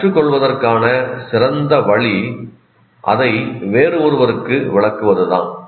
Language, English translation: Tamil, So the best way to learn is to explain it to somebody else